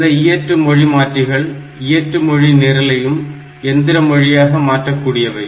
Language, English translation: Tamil, And these assemblers they can convert the assembly language program to machine language